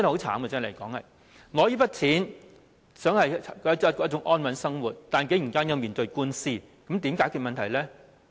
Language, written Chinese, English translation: Cantonese, 他們只想領取這些錢過安穩的生活，但竟然要面對官司，那如何解決問題呢？, They only wished to receive these allowances in order to live a stable life but they eventually had to face lawsuits . Then how should they tackle their predicaments?